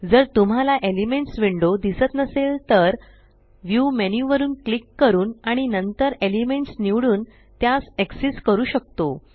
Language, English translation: Marathi, If you dont see the Elements window, we can access it by clicking on the View menu and then choosing Elements